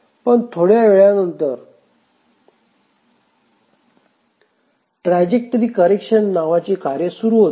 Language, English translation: Marathi, But after some time the task, the trajectory correction tasks starts